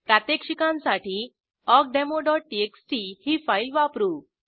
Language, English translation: Marathi, For demonstration purpose, we use the awkdemo.txt file